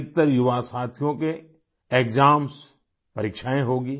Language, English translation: Hindi, Most of the young friends will have exams